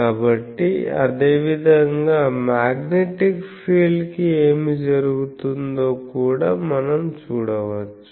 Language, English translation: Telugu, So, similarly we can also see that what will happen to the Magnetic field